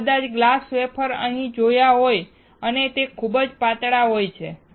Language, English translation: Gujarati, You may not have seen glass wafer and these are very thin